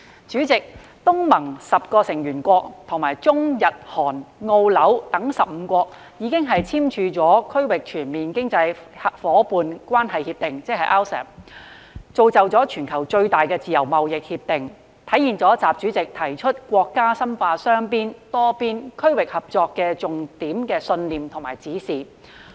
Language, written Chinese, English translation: Cantonese, 主席，東盟十國與中、日、韓、澳、新等15國已經簽署《區域全面經濟伙伴關係協定》，是全球規模最大的自由貿易協定，體現習主席提出的國家深化雙邊、多邊、區域合作的重點信念與指示。, President the 10 ASEAN states and 15 other countries including China Japan Korea Australia and Singapore have signed the Regional Comprehensive Economic Partnership RCEP Agreement which is the largest free trade agreement in the world and demonstrates the key beliefs and instructions of President XI to deepen bilateral multilateral and regional cooperation